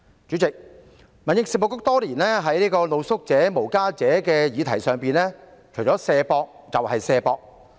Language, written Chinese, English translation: Cantonese, 主席，民政事務局多年在露宿者、無家者的議題上，除了"卸膊"，就只有"卸膊"。, Chairman regarding the issues of street sleepers and the homeless the Home Affairs Bureau has done nothing except shirking responsibilities over the years